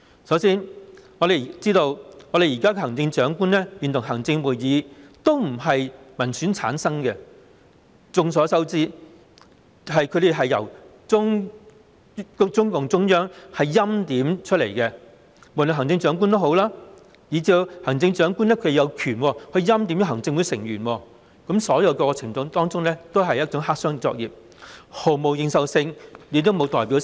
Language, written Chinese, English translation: Cantonese, 首先，現時行政長官會同行政會議並非由民選產生，眾所周知，他們是由中共中央政府欽點，無論是行政長官，以至行政長官有權欽點的行政會議成員，所有過程都是黑箱作業，毫無認受性，亦沒有代表性。, First the Chief Executive in Council is not returned by direct election . It is known to all that they are appointed by the Central Government . Be it the Chief Executive or Members of the Executive Council whom the Chief Executive is authorized to appoint all the procedures are done in the dark lacking a mandate and representativeness